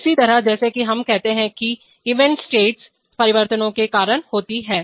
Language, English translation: Hindi, Similarly, as we say that events are caused by state changes